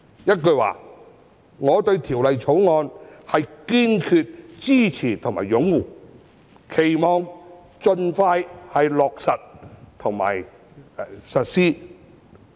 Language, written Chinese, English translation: Cantonese, 一句說話，我堅決支持和擁護《條例草案》，期望能夠盡快落實和實施。, In a nutshell I resolutely support and embrace the Bill and I hope that it can be expeditiously brought into effect and implemented